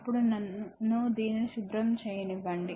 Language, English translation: Telugu, Then now let me clean this one